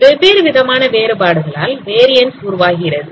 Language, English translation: Tamil, So these variance causes due to different kind of variations